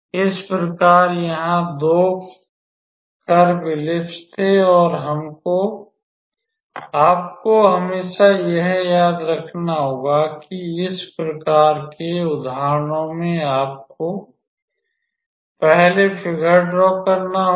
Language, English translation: Hindi, So, here in this case the 2 curves were ellipse and you just have to in always remember that in this case in these type of examples you always have to draw the figure first